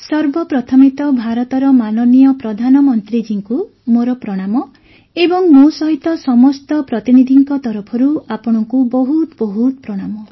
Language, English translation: Odia, First of all, my Pranam to Honorable Prime Minister of India and along with it, many salutations to you on behalf of all the delegates